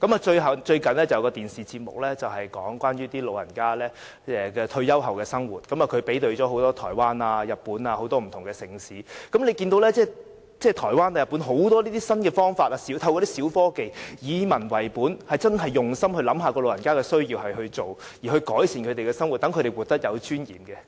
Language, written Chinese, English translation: Cantonese, 最近有一個電視節目是有關長者退休後的生活，對比了台灣、日本及很多不同的城市，可以看到台灣人和日本人透過很多新方法和小科技，以民為本，真的用心為長者設想，按其需要提供設施，以改善他們的生活，讓他們活得有尊嚴。, In a recent television programme about the living of retired elderly people a comparison of Taiwan Japan and many cities was made . We can see that Taiwanese and Japanese adopt a people - based attitude and really look after the interests of the elderly by using many new methods and small technology in providing facilities they need with a view to improving their living and enabling them to live with dignity